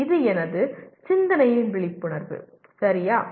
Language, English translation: Tamil, This is an awareness of my thinking, okay